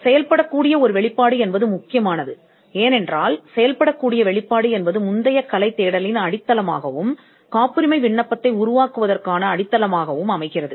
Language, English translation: Tamil, The working disclosure is important, because the working disclosure is what forms the foundation of both a prior art search as well as the foundation for drafting a patent application